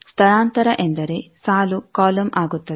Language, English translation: Kannada, Transpose means the row becomes column